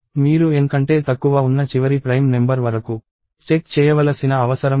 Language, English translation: Telugu, You do not even have to go to the last prime number that is less than N